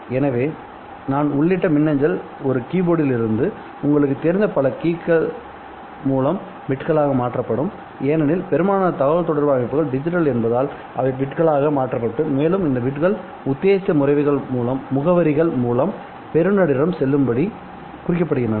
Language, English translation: Tamil, So the email that I entered which is just a stroke of keys you know from the keyboard will be converted into bits because most communication systems are digital so they'll convert it into bits and these bits are tagged with addresses in order to make it go to the intended recipient